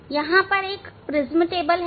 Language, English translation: Hindi, Now, here this is a prism table